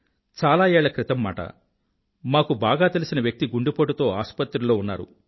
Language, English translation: Telugu, Once, many years ago, one of our acquaintances was admitted to a hospital, following a heart attack